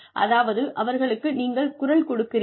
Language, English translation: Tamil, Which means, you give them a voice